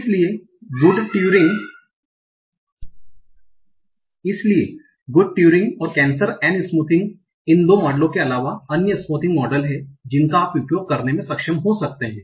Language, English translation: Hindi, Now, so other than these two models of good curing and nagenet smoothing there are other smoothing models that you might be able to use